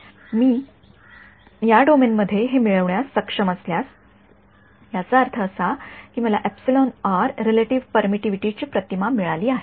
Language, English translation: Marathi, If I am able to get this in this domain; that means, I have got an image of epsilon r relative permittivity